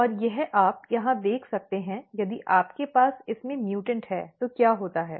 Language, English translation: Hindi, And this you can see here if you have mutant in this what happens